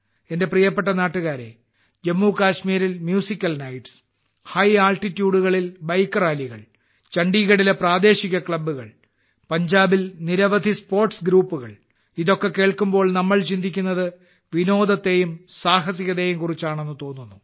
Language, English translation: Malayalam, My dear countrymen, whether be the Musical Nights in Jammu Kashmir, Bike Rallies at High Altitudes, local clubs in Chandigarh, and the many sports groups in Punjab,… it sounds like we are talking about entertainment and adventure